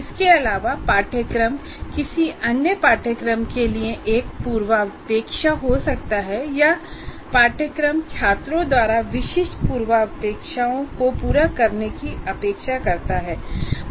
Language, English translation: Hindi, And further, a course may be a prerequisite to some other course or a course expects certain prerequisites to be fulfilled by the students